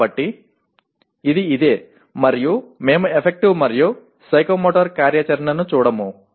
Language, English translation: Telugu, So this is what it is and we will not be looking at Affective and Psychomotor activity